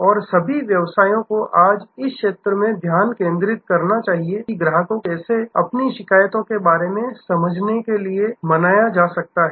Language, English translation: Hindi, And all businesses today must focus how to persuade the customer to articulate their grievances